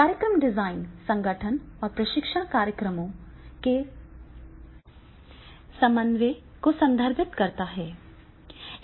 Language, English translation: Hindi, The program design refers to the organization and coordination of the training programs